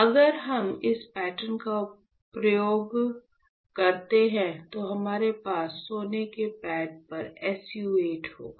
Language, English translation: Hindi, So, if we use this pattern, then we will have SU 8 on the gold pad